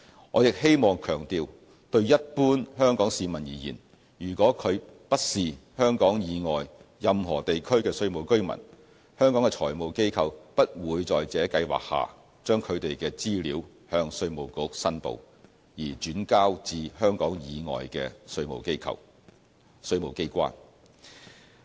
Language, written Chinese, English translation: Cantonese, 我亦希望強調，對一般香港市民而言，如果他不是香港以外任何地區的稅務居民，香港的財務機構不會在這計劃下將他們的資料向稅務局申報，而轉交至香港以外的稅務機關。, I would like to stress that for the general public in Hong Kong if they are not tax residents of any region outside Hong Kong the financial institutes of Hong Kong will not submit their information to IRD for transfer to tax institutes outside Hong Kong under the scheme